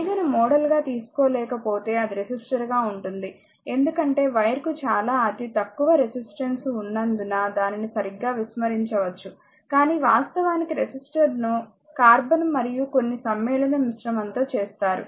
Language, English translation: Telugu, If you take a wire you cannot modeled is as a resistor, because wire has a very negligible resistance you can ignore it right, but resistor actually made of your what you call the carbon and some compound alloy, right